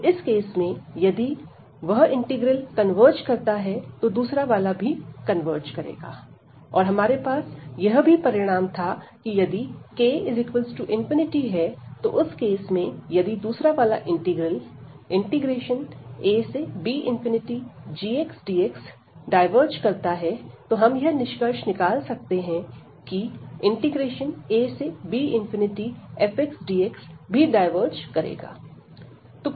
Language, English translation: Hindi, So, in that case if that integral converges the other one will also converge and we had also the result that if this k is infinity, in that case if the other one the g integral this diverges in that case we can also conclude that this f will also diverge